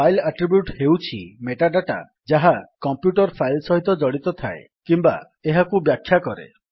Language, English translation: Odia, A file attribute is metadata that describes or is associated with a computer file